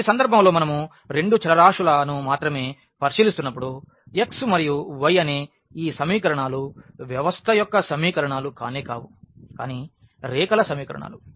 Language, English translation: Telugu, So, in this case when we are considering only 2 variables x and y these equations the equations of the system are nothing, but the equation of the lines